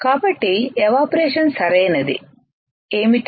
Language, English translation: Telugu, So, what is evaporation right